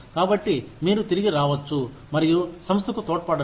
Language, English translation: Telugu, So, you can come back, and keep contributing to the organization